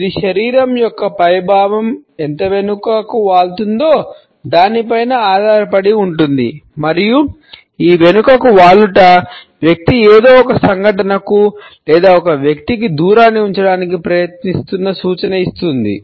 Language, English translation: Telugu, It depends on how far the upper part of the body is leaned back and this leaning back suggests the distance the person is trying to keep to some event or to some person